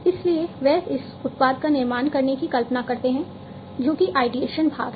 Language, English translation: Hindi, So, they visualize this product to be built that is the ideation part